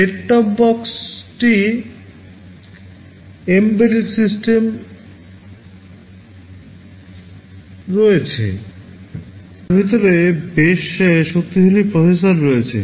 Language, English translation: Bengali, Set top box are also embedded systems, there are quite powerful processors inside them